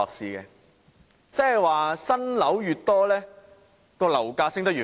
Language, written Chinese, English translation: Cantonese, 換言之，新樓越多，樓價升得越快。, In other words the more new buildings become available the faster the property prices rise